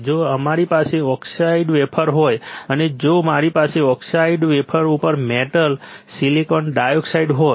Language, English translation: Gujarati, if we have a oxidise wafer and if I have a metal on oxidise wafer; metal , silicon dioxide